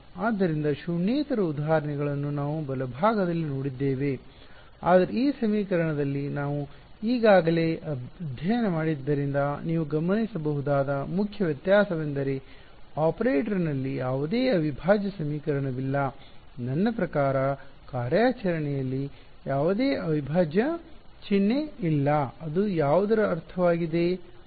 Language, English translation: Kannada, So, we have seen examples of non zero on the right hand side, but the main difference that you can observe in this equation from what we already studied is what there is no integral equation in the operator; I mean there is no integral sign in the operation, it is purely means of what